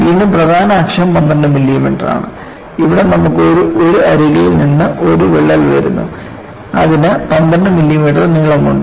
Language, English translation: Malayalam, Again, the major access is 12 millimeter, and here you havea crack coming from one of the edges which is also having a length of 12 millimeter